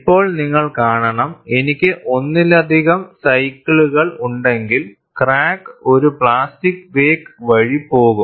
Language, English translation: Malayalam, Now, you have to see, if I have multiple cycles, the crack will go through a plastic wake; we will see that also